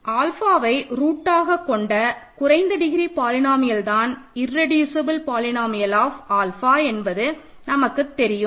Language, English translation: Tamil, This is one such, this is a polynomial which as alpha has a root, it may or may not be irreducible polynomial of alpha